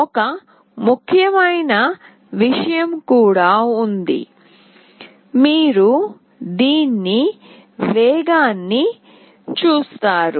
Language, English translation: Telugu, There is also one important thing, you see the speed of this one